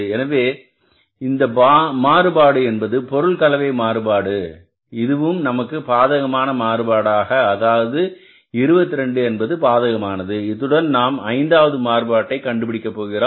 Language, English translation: Tamil, So, this variance has again material mixed variance has also come up as negative variance that is 22 adverse and lastly we calculate the fifth variance and that variance is called as the material yield variance